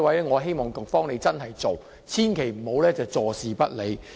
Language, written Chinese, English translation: Cantonese, 我希望局長可以落實這安排，千萬不要坐視不理。, I hope that the Secretary can implement this arrangement and will not turn a blind eye to this